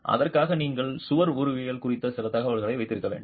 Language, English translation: Tamil, So, for that you need to have some information on the wall morphology